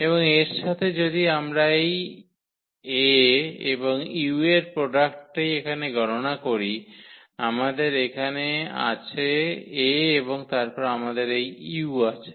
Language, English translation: Bengali, And, with this if we compute this product here A and u so, here we have this A and then we have this u